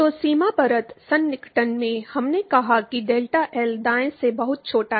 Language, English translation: Hindi, So, in boundary layer approximation, we said that delta is much smaller than L right